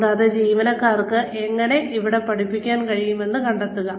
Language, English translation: Malayalam, And, find out, how the employees can teach there